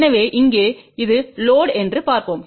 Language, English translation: Tamil, So, here let us look at this is the load